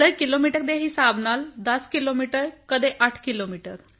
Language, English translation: Punjabi, Sir in terms of kilometres 10 kilometres; at times 8